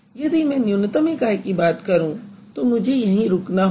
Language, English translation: Hindi, So, if I talk about minimal unit, I have to stop it over here